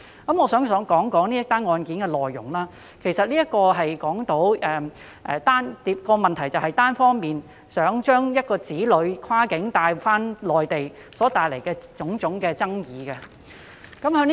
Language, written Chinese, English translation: Cantonese, 我想談談這宗案件的內容，其實這宗個案涉及當事人單方面欲將子女跨境帶往中國內地所帶來的種種爭議。, I would like to talk about the details of this case . In fact the case highlights various issues in relation to a child taken across the boundary to the Mainland of China unilaterally by one of his parents